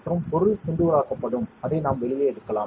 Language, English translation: Tamil, And the material will be diced and we can take it out